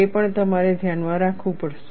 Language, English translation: Gujarati, That also, you have to keep in mind